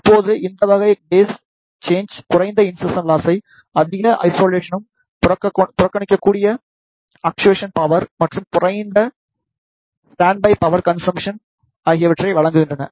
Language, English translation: Tamil, Now, these type of phase shifters provide the low insertion loss high isolation, negligible actuation power and lower standby power consumption